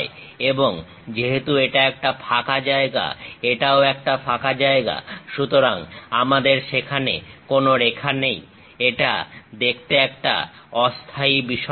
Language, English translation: Bengali, And because this is a hollow portion, this is also a hollow portion; so we do not have any lines there, it just looks like floating one